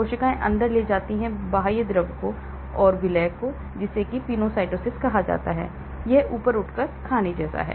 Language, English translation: Hindi, Cells take in extracellular fluid and dissolved solutes, that is called penocytosis, it is like gobbling up, eating up